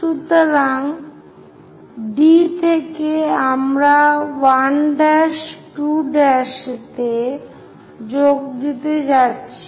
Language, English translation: Bengali, So, from D also we are going to join 1 prime, 2 prime